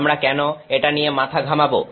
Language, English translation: Bengali, Why should we bother about it